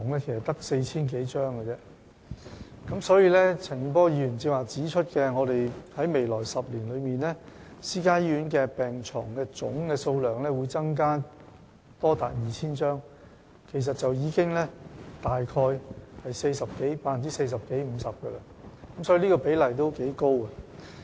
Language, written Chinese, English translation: Cantonese, 正如陳健波議員剛才指出，我們在未來10年內，私營醫院病床的總數目會增加多達 2,000 張，其實已接近 40% 至 50%， 這個比例可算頗高。, As Mr CHAN Kin - por pointed out just now as many as 2 000 additional beds will be provided by the private hospitals in the next 10 years which actually represents an increase of about 40 % to 50 % . Such a ratio is on the high side